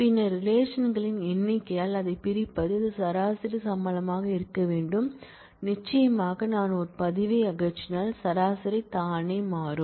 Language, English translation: Tamil, And then dividing it by the number of relations this has to be the average salary certainly if I remove a record then the average itself will change